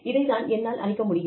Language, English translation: Tamil, This is what, I cannot do